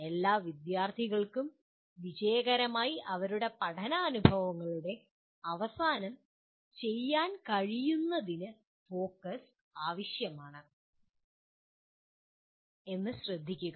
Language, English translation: Malayalam, Note the focus is on essential for all students to be able to do successfully at the end of their learning experiences